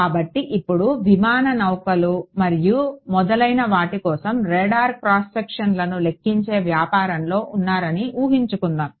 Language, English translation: Telugu, So, now, let us imagine that you know where you know in the business of calculating radar cross sections for aircraft ships and so on ok